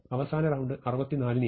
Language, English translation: Malayalam, And the last round I will take 64